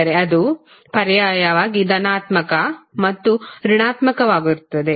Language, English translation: Kannada, So, that means it will alternatively become positive and negative